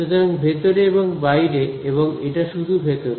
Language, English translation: Bengali, So, in and out and this is only in